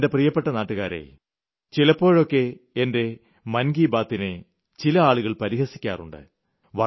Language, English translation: Malayalam, My dear countrymen, sometimes my 'Mann Ki Baat' is ridiculed a lot and is criticized much also